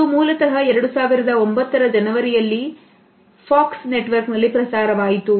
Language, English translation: Kannada, It originally ran on the Fox network in January 2009